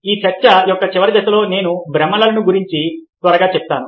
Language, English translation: Telugu, the final phase of this talk, i will quickly touch upon illusions